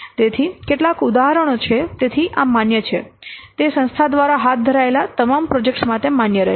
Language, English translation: Gujarati, So, some of the examples are, so these are valid, these remain valid for all the projects that the organization undertake